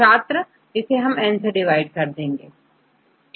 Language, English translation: Hindi, You have to divided by N